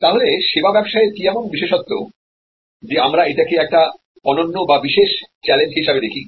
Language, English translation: Bengali, So, what is so special in case of service business, where we see this as a unique set of challenges